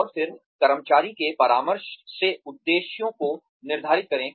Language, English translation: Hindi, And then, set objectives in consultation with the employee